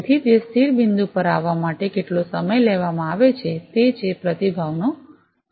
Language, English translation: Gujarati, So, how much is the time taken to come to that stable point, that is the response time